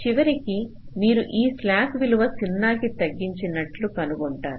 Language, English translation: Telugu, at the end you will be finding that all this slack values have been reduce to zero